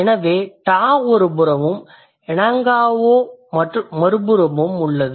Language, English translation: Tamil, So, ter is in one side and en gau is in the other side